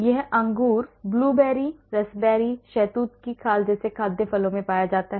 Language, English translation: Hindi, it is found in food fruits like skins of grapes, blueberries, raspberries, mulberries